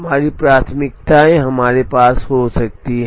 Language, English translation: Hindi, We could have priorities we could have all of them